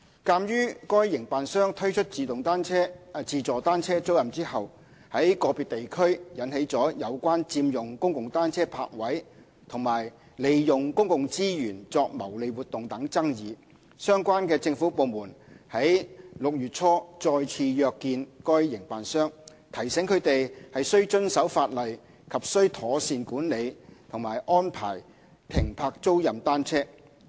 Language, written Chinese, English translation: Cantonese, 鑒於該營辦商推出自助單車租賃後，在個別地區引起有關佔用公共單車泊位和利用公共資源作牟利活動等爭議，相關政府部門於6月初再次約見該營辦商，提醒他們須遵守法例及須妥善管理和安排停泊租賃單車。, In view of the controversies in individual districts concerning the occupation of public bicycle parking spaces by rental bicycles and the use of public resources for profit - making activities after the concerned operator launched its automated bicycle rental service relevant government departments met with the operator again in early June to remind them of the need to comply with the legislation and to properly manage and park the rental bicycles